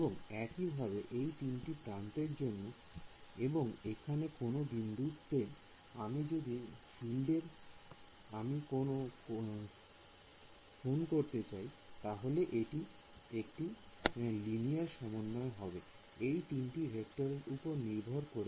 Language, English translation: Bengali, And similarly for these 3 edges and at some point over here if I want to find out the field, it is going to be a linear combination of something based on these 3 vectors